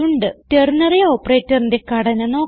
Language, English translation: Malayalam, Now we shall look at the ternary operator